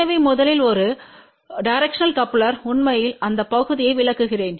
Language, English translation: Tamil, So, first of all what is really a directional coupler let me just explain that part